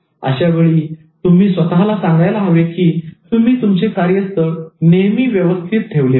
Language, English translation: Marathi, So that is the time you need to tell yourself that you need to organize your workspace regularly